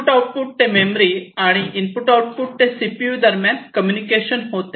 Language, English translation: Marathi, The basically, the memory to the input output, and also between the input output and the CPU